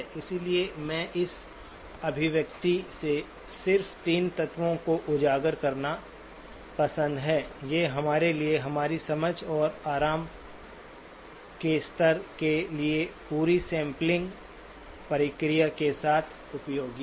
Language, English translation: Hindi, So I would like to just highlight 3 elements from this expression, these are useful for us in our understanding and comfort level with the whole sampling process